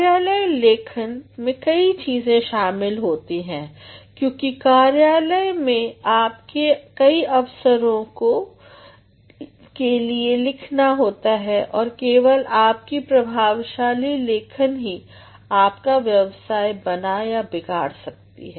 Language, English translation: Hindi, Workplace writings involve a variety of things because at workplaces you have to write for various occasions and it is only your effective writing that can make or mar your career